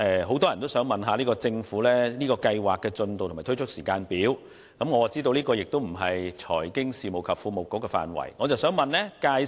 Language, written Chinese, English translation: Cantonese, 很多市民想向政府查詢先導計劃的進度和推出時間表，我知道這不是財經事務及庫務局的職權範圍。, Many members of the public would like to ask the Government about the progress of the pilot scheme and the implementation timetable . I understand that these matters are not within the purview of the Financial Services and the Treasury Bureau